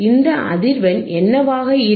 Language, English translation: Tamil, What is this frequency